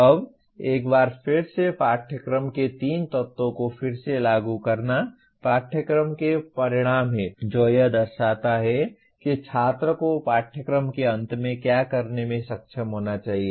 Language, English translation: Hindi, Now once again to reinstate the three elements of a course are Course Outcomes, representing what the student should be able to do at the end of a course